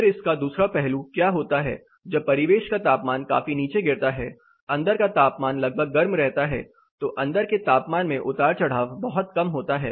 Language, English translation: Hindi, Then other side of it, what happens when the ambient temperature drops well below the inside is also kept more or less warm, so the inside temperature fluctuation is much lesser